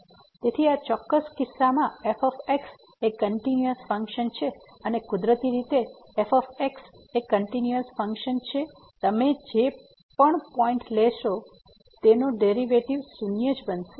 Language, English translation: Gujarati, So, in this particular case is the constant function, and since is the constant function naturally whatever point you take the derivative is going to be